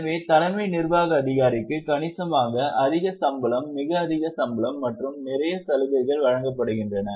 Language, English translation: Tamil, So, CEO is given substantially high salary, a very high salary and also a lot of perks